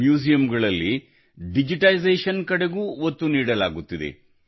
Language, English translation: Kannada, The focus has also increased on digitization in museums